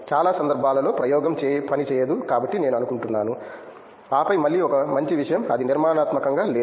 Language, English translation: Telugu, Most of the time the experiment don’t work so I think, and then again one a good thing is it’s not structured